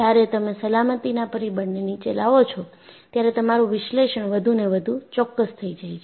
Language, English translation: Gujarati, When you bring down the factor of safety, your analysis has to be more and more precise